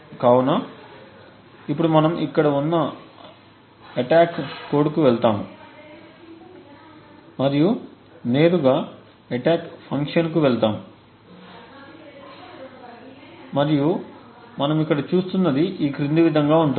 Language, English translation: Telugu, So, we will now go to the attack code it is over here and we will just jump directly to the attack function and what we see is the following